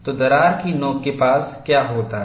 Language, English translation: Hindi, So, that is what happens near the crack tip